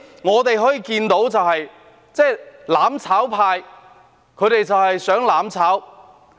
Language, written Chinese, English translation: Cantonese, 我們可以看到，"攬炒派"只想"攬炒"。, As we can see the mutual destruction camp only desires mutual destruction